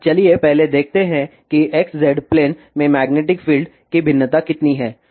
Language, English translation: Hindi, So, let us first see though variation of magnetic field in XZ plane